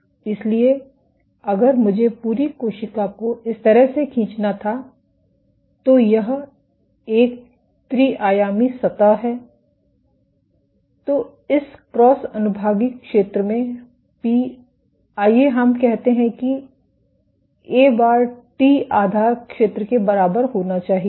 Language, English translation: Hindi, So, if I were to draw the whole cell in this way, this is a three dimensional surface then p into this cross sectional area; let us say A bar must be equal to t dot this base area A b; A base